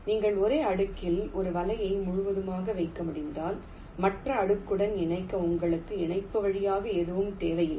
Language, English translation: Tamil, if you can lay a net entirely on the same layer, you will not need any via connection for connecting to the other layer